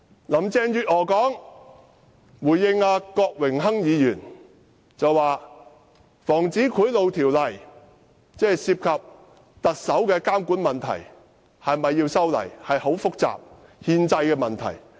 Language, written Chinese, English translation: Cantonese, 林鄭月娥回應郭榮鏗議員時說，是否修改《防止賄賂條例》涉及特首監管的問題，也牽涉憲制問題。, In response to Mr Dennis KWOK Carrie LAM said that whether the Prevention of Bribery Ordinance should be amended involved monitoring the Chief Executive and also constitutional issues